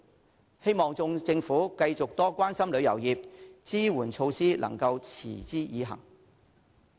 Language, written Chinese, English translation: Cantonese, 我希望政府繼續多關心旅遊業，支援措施能夠持之以恆。, I hope that the Government will continue to show its concern for the tourism industry and continue to implement the supportive measures